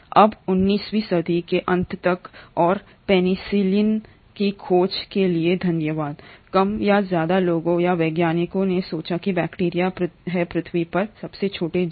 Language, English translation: Hindi, Now by the end of 19thcentury and thanks the discovery of penicillin, more or less people or scientists thought that bacteria are the smallest possible organisms on Earth